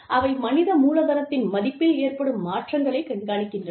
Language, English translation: Tamil, They track changes, in the value of human capital